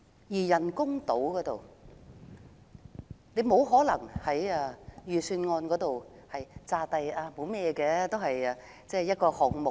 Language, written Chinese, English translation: Cantonese, 至於人工島，政府沒可能假裝它只是預算案的其中一個項目。, As regards the artificial islands the Government cannot pretend that it is just another item in the Budget